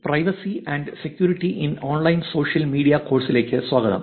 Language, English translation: Malayalam, Welcome back to the course Privacy and Security in Online Social Media